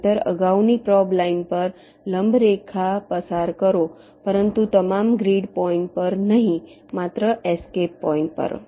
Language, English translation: Gujarati, otherwise, pass a perpendicular line to the previous probe line, but not at all grid points, only at the escape points